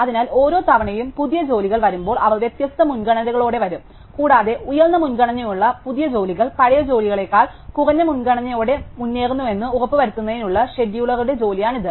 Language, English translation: Malayalam, So, each time when new jobs arrive they will come with different priorities, and this is the job of the scheduler to make sure that the new jobs with higher priority come ahead of older job with lower priority